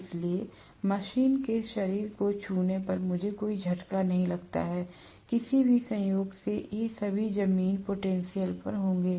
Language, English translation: Hindi, So, I do not have to get a shock when I touch the body of the machine, by any chance, all of them will be at ground potential